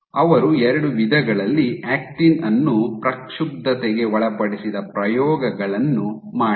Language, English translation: Kannada, So, they did experiments where they perturbed actin in two ways